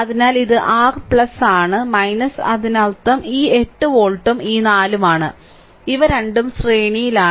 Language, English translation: Malayalam, So, this is your plus minus and that means this volt 8 volt and this 4 ohm, these two are in series